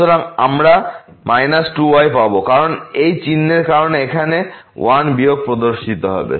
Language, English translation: Bengali, So, we will get minus 2 because of this sign here the 1 minus will appear